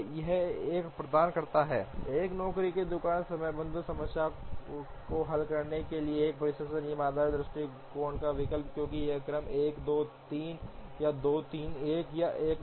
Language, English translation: Hindi, It provides an alternative to a dispatching rule based approach to solve a job shop scheduling problem, because this sequence 1 2 3 or 2 3 1, 1 2 3